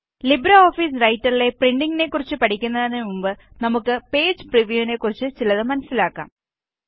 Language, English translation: Malayalam, Before learning about printing in LibreOffice Writer, let us learn something about Page preview